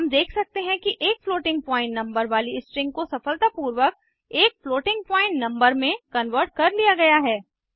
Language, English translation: Hindi, We can see that the string containing a floating point number has been successfully converted to floating point number